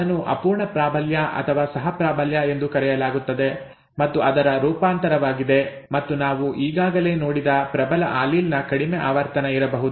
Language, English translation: Kannada, That is called incomplete dominance or co dominance is a variant of that and there could be very low frequency of the dominant allele that we have already seen